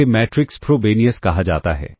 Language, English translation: Hindi, This is termed as the matrix frobenius